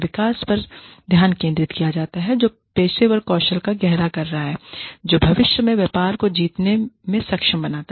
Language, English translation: Hindi, The development is focused on, deepening professional skills, that enable future business winning